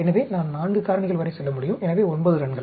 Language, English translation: Tamil, So, I can go up to 4 factors, so 9 runs